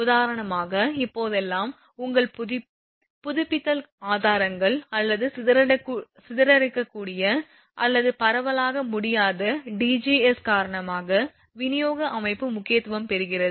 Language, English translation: Tamil, For example, that your because nowadays which because of renewal sources or dispersible or non dispersible DGs the distribution system getting more and more important